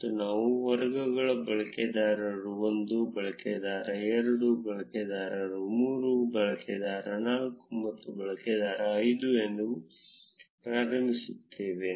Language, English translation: Kannada, And we initialize the categories as user 1, user 2, user 3, user 4 and user 5